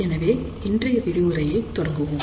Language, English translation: Tamil, So, let us start today's lecture